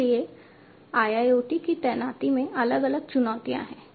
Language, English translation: Hindi, So, there are different challenges in the deployment of IIoT